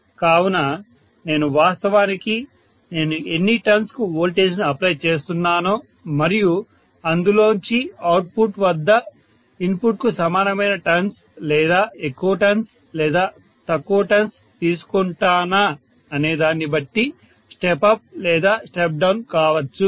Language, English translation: Telugu, So it can be step up or step down depending upon to how many turns I am actually applying the voltage and out of this whether I am taking the same number of turns as the input at the output or more number of turns or less number of turns